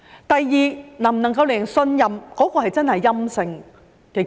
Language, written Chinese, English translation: Cantonese, 第二，能否令人相信檢測結果真的是陰性呢？, Secondly how can we be convinced that the test results are really negative?